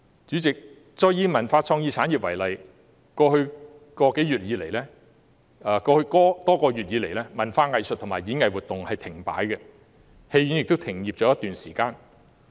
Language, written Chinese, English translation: Cantonese, 主席，我再以文化創意產業為例，在過去多個月以來，文化藝術及演藝活動停擺，戲院亦已停業一段時間。, President let me cite the example of the cultural and creative industries again . Over the past several months cultural arts and performing arts activities have come to a halt and cinemas have also been closed for some time